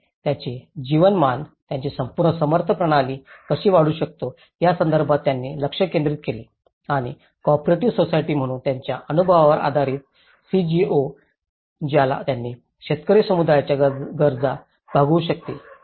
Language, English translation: Marathi, They focused on how we can enhance their livelihoods, their the whole support systems and based on their experience as an co operative society the CGOs they have actually could able to address the peasant communities needs